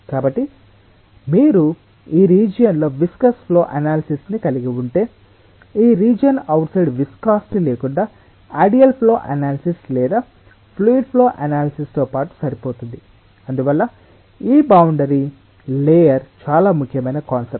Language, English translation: Telugu, so if you have a viscous flow analysis within this region, that may be good enough, coupled with a ideal flow analysis or fluid flow analysis without viscosity outside this region